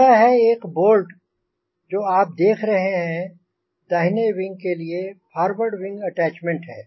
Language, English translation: Hindi, this is this bolt which you are seeing is the forward wing attachment of the right wing